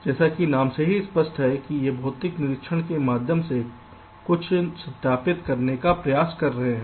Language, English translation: Hindi, as the name implies, we are trying to verify something through physical inspection